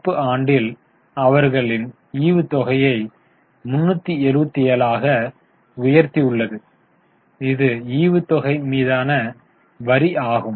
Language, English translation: Tamil, In the current year they have increased the dividend to 374 and this is the tax on dividend